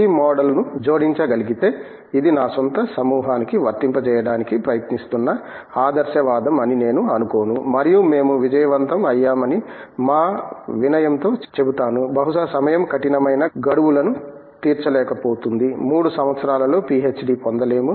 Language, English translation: Telugu, If this model could be added, I do not think this is idealistic I have been trying to apply this to my own group and I would say in our humility that we have been successful, maybe the time does’nt meet the stiff deadlines we don’t get a PhD in 3 years or something like that